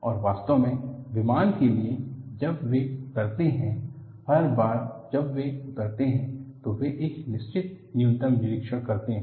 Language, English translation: Hindi, And in fact, for aircrafts, when they land, every time they land, they do certain minimal inspection